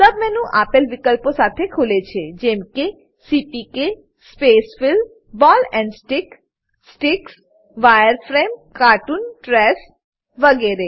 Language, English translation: Gujarati, A sub menu opens with options like CPK Spacefill, Ball and Stick, Sticks, Wireframe, cartoon, trace, etc